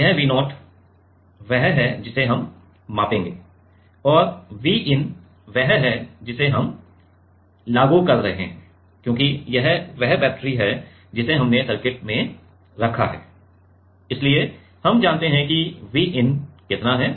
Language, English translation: Hindi, This V0 is what we will measure and V in is what we are applying because this is the battery we have put in the circuit, so, we know how much is the V in